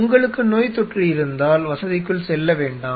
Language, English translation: Tamil, If you have infections do not get another facility